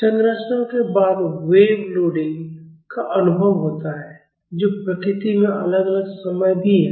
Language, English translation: Hindi, After structures experience wave loading which is also time varying in nature